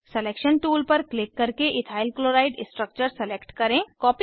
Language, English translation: Hindi, Click on Selection tool to select Ethyl chloride structure